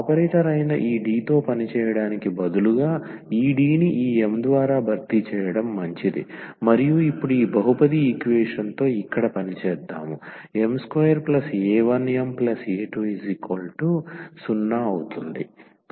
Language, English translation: Telugu, So, instead of working with this D which were operator is better to replace this D by this m and now let us work with this polynomial equation here m square plus a 1 m plus a 2 is equal to 0